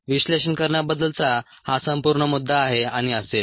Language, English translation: Marathi, thats a whole point about analyzing and so on